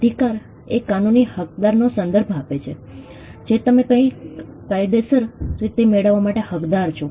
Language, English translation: Gujarati, A right refers to a legal entitlement, something which you are entitled to get legally